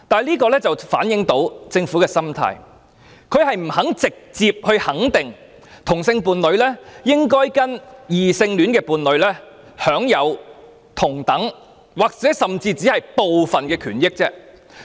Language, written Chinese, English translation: Cantonese, 這足可反映政府的心態是不願意直接肯定同性伴侶應與異性伴侶一樣，享有同等甚或只是部分權益。, This has fully reflected the mentality of the Government that it is not willing to directly verify that homosexual couples should be treated on a par with heterosexual couples and enjoy the same or even some of the rights available to heterosexual couples